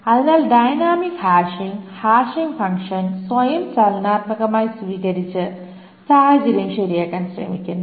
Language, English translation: Malayalam, So the dynamic hashing tries to attempt to rectify the situation by dynamically adopting the hashing function itself